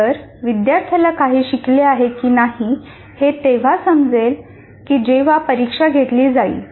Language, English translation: Marathi, So the only way the student will know whether he has learned something or not is only when the examination is conducted